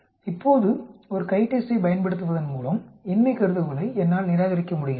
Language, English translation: Tamil, Now, so by using a CHITEST, I am able to reject the null hypothesis